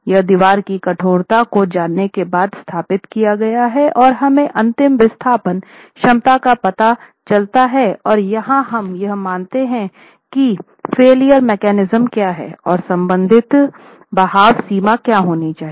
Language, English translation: Hindi, This is established after you know the stiffness of the lateral stiffness of the wall and the ultimate displacement capacity is known by making an assumption of what the failure mechanism is and what the corresponding drift limit should be